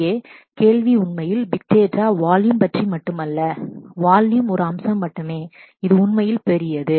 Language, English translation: Tamil, The question here really is, big data is not only about volume, the volume is only one aspect which is really large